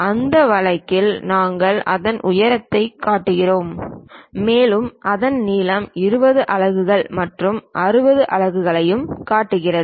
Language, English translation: Tamil, In that case we show its height and also we show its length, 20 units and 60 units